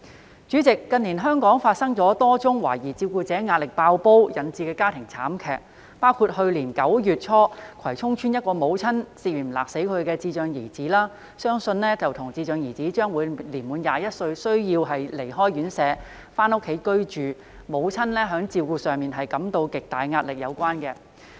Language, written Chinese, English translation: Cantonese, 代理主席，近年香港發生多宗懷疑因照顧者壓力"爆煲"而引致的家庭慘劇，包括去年9月初葵涌邨一名母親涉嫌勒死其智障兒子，相信與智障兒將滿21歲而須離開院舍回家居住、母親在照顧上感到巨大壓力有關。, Deputy President there have been a number of family tragedies allegedly due to overwhelming pressure on carers in Hong Kong in recent years . For example in early September last year a mother was suspected of strangling her intellectually disabled son to death in Kwai Chung Estate . It is believed that the mother felt tremendous caregiving stress as her son was soon required to leave the residential care home and return home on reaching the age of 21